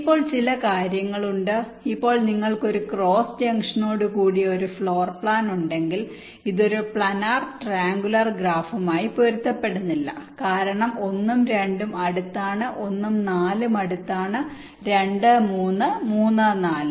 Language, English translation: Malayalam, if you have a floor plan with a cross junction see, this will not correspond to a planer triangular graph because one and two, an adjacent one and four are adjacent, two, three and three, four